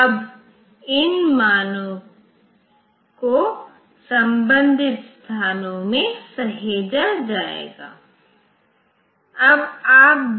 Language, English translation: Hindi, Now, these values will be saved in the corresponding locations